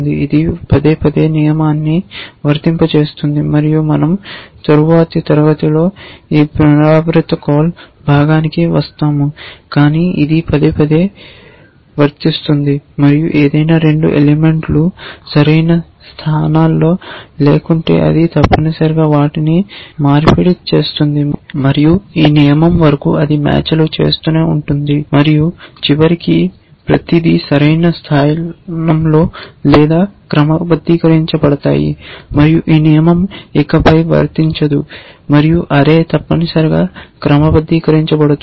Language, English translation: Telugu, It will repeatedly apply the rule and we will, we will come to this repetition part in the next class, but it will repeatedly apply to, if it is, it is if any 2 elements out of place it will swap them essentially and it will keep doing that till this rule matches and eventually of course, everything will be in place or sorted and then this rule will no longer apply and your array would be sorted essentially